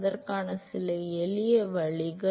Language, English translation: Tamil, Some simple ways to do that